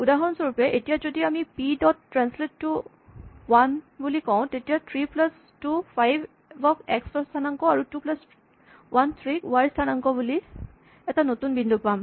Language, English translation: Assamese, For instance, now if we say p dot translate 2 1 then we get a new point which 3 plus 2 5 for the x coordinate and 2 plus 1 3, so this 3 plus 2 gives us 5, and 2 plus 1 gives us 3